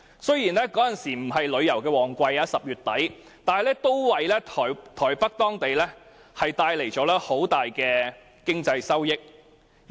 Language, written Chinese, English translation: Cantonese, 雖然10月底並非旅遊旺季，但也為台北帶來了很大的經濟收益。, Although end October is not a peak tourism period this event brings huge economic benefits to Taipei